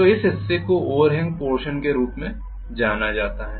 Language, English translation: Hindi, So this portion is known as the overhang portion